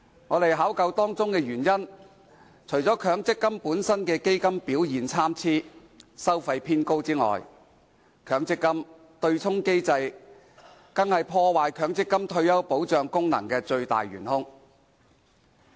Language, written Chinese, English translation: Cantonese, 我們考究當中原因，除了強積金本身基金表現參差和收費偏高外，強積金對沖機制是破壞強積金退休保障功能的"最大元兇"。, After looking into the matter we discovered that apart from the varied performance of different MPF funds and the high level of fees the prime culprit that undermines the retirement protection function of the MPF scheme is its offsetting mechanism